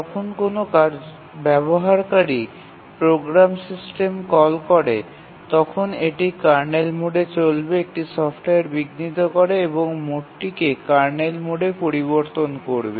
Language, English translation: Bengali, When a user program makes a system call, it runs in kernel mode, generates a software interrupt, changes the mode to kernel mode